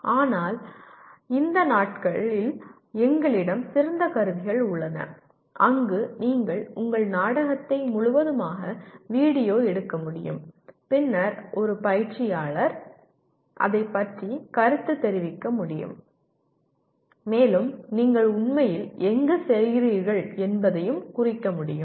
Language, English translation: Tamil, But these days we have excellent tools where you can video the entire your play and then a coach can comment on that and can exactly pinpoint where you are actually doing